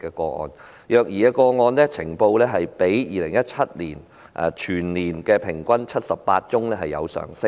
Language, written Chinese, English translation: Cantonese, 呈報虐兒個案全年平均數字較2017年的78宗有所上升。, The monthly average number of reported child abuse cases this year is higher than that recorded in 2017 which is 78 cases